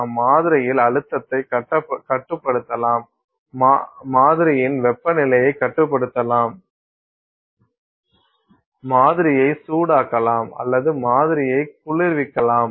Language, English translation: Tamil, You can control a stress on the sample, you can control the temperature of the sample, you can heat the sample or cool the sample